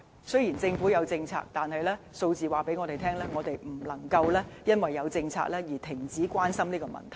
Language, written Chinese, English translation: Cantonese, 雖然政府有政策，但數字告訴我們，不能因為有政策而停止關心這個問題。, Although the Government has formulated policies to address this problem figures indicate that we cannot stop caring about this problem simply because policies have been introduced